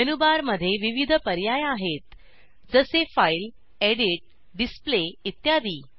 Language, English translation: Marathi, In the menu bar, there are various options like File, Edit, Display, etc